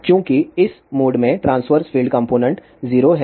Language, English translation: Hindi, Since all the transverse field components are 0 in this mode